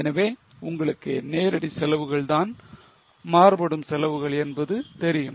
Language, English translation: Tamil, So, you know that the direct costs are variable costs